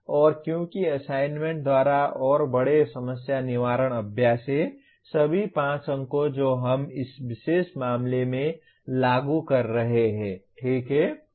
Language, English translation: Hindi, And because assignment by and large are problem solving exercises, all the 5 marks we are assigning in this particular case to Apply, okay